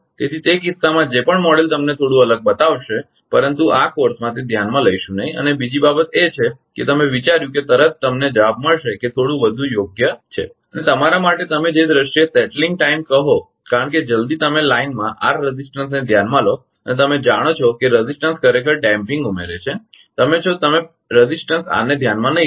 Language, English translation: Gujarati, So, in that case whatever model will show you to be slightly different, but will not consider that in this course and another thing is that as soon as you considered that actually you will find response is slightly better right and in terms of your what you call settling time because as soon as you consider r resistance in line and you know resistance actually add damping